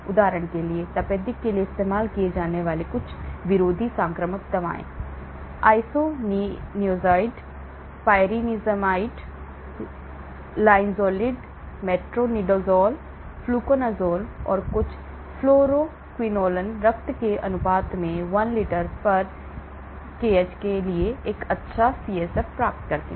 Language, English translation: Hindi, For example, some anti infectives like tuberculosis; isoniazid, pyrazinamide, linezolid, metronidazole, fluconazole, and some fluoroquinolones achieve a good CSF to blood ratio 1 litre/kh